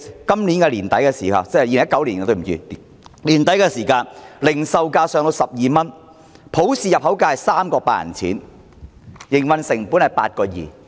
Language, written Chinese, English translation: Cantonese, 到了2019年年底，零售價上升至12元，入口價是 3.8 元，營運成本是 8.2 元。, At the end of 2019 the retail price went up to 12 and the import price was 3.8 meaning that the operating costs at the time were 8.2